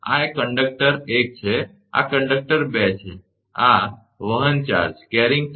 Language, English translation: Gujarati, So, this is conductor 1, this is conductor 2, this carrying charge plus q